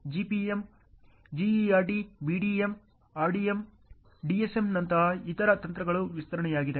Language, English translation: Kannada, Other techniques like GPM, GERT, BDM, RDM, DSM which are extension